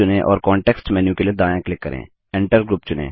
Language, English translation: Hindi, Select the group and right click for the context menu